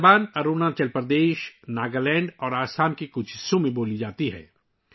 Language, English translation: Urdu, This language is spoken in Arunachal Pradesh, Nagaland and some parts of Assam